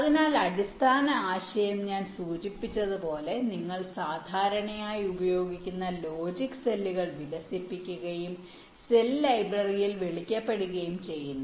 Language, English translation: Malayalam, so, basic idea: as i have mentioned, you develop the commonly used logic cells and stored them in a so called cell library